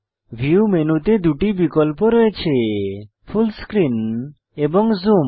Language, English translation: Bengali, In the View menu, we have two options Full Screen and Zoom